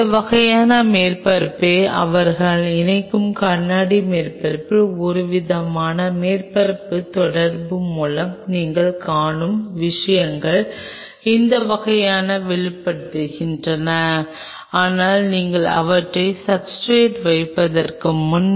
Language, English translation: Tamil, And these ones kind of pops out what you see essentially this surface by some kind of a surface interaction on the glass surface they attach, but before you can put them on the substrate